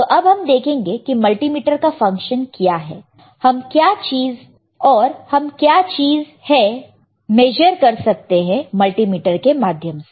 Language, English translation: Hindi, Now, we will see what are the functions or what are the things that we can do with a multimeter, all right